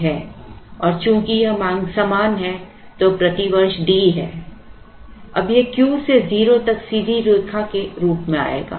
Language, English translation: Hindi, And since that demand is same which is D per year, now this will come as a straight line from Q to 0